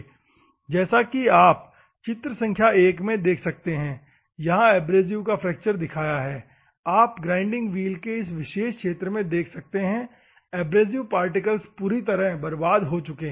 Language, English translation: Hindi, As you can see here the abrasives are fractured in figure one, you can see in this particular region, of the grinding wheel, the abrasive particles are completely damaged